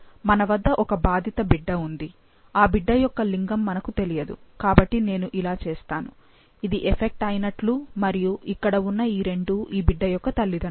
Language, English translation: Telugu, So, we have an affected child, we don't know the gender, so I’ll just make like this and this is affected and these two are his or her parents